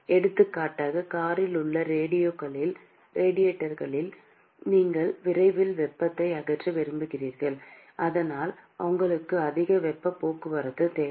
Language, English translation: Tamil, For example in the radiators in car, where you want to dissipate the heat as soon as possible which means you need to have a very high heat transport